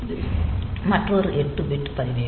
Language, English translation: Tamil, So, this is another 8 bit register